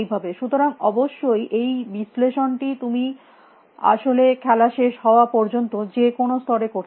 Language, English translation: Bengali, So; obviously, this analysis you can do to any level till the end of the game in fact